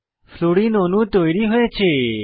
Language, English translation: Bengali, Fluorine molecule is formed